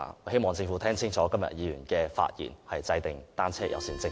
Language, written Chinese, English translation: Cantonese, 希望政府清楚聽到今天議員的發言，制訂單車友善政策。, I hope the Government has listened clearly to Members speeches today for the formulation of a bicycle - friendly policy